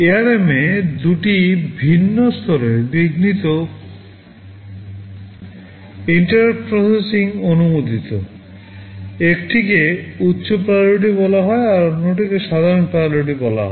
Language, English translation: Bengali, In ARM two different levels of interrupt processing are permissible or allowed, one is called high priority or other is called normal priority